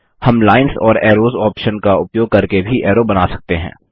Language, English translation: Hindi, We can also draw arrows using the Lines and Arrows option